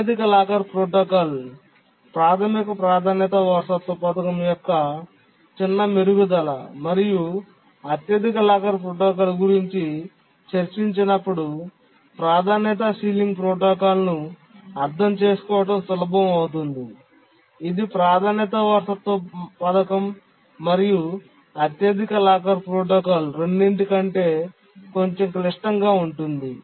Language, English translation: Telugu, The highest locker protocol is a small improvement of the basic priority inheritance scheme and if we understand the highest locker protocol then it becomes easy to understand the sealing protocol, the priority sealing protocol